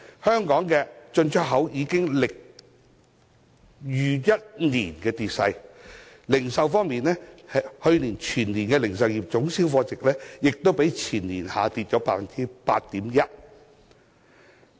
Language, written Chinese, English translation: Cantonese, 香港進出口業已經歷逾1年的跌勢，而去年全年的零售業總銷貨值，亦較前年下跌 8.1%。, The imports and exports trade in Hong Kong has experienced a dropping trend for more than a year and the value of total retail sales in last year as a whole dropped by 8.1 % as compared with the year before last